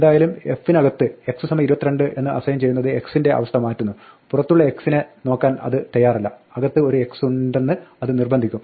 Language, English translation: Malayalam, So, somehow assigning x equal to 22 inside f changed the status of x, it is no longer willing to look up the outside x it will insist that there is an inside x